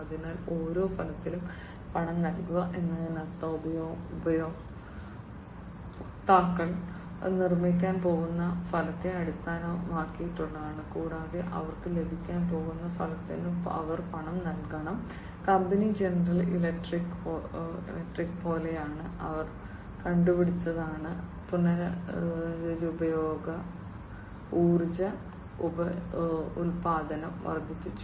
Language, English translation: Malayalam, So, pay per outcome means based on the outcome the users are going to be the users are going to be built, and they have to pay per the outcome that they are going to receive, company is like General Electric, they have come up with increased renewable energy production